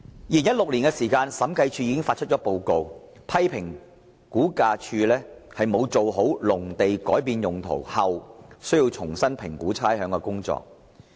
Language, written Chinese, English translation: Cantonese, 2016年的審計署署長報告書批評，估價署沒有做好農地改變用途後重新評估差餉的工作。, The 2016 Director of Audits Report criticized RVD for failing to conduct assessment to rates for agricultural land after a change in land use